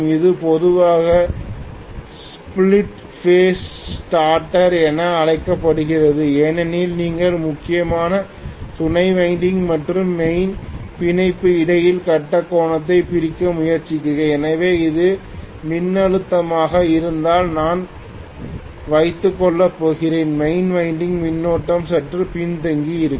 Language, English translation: Tamil, This is generally called as split phase starter because you are essentially trying to split the phase angle between auxiliary winding and main binding, so I am going to have if this is the voltage, main winding current is going to be lagging quite a bit